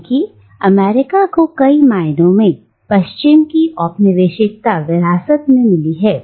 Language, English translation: Hindi, Because America in many ways have inherited the mantle of the colonial West